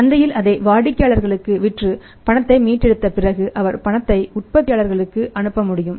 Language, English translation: Tamil, And after selling it in the market to the customer and recovering the cash he can pass on the payment to the manufacture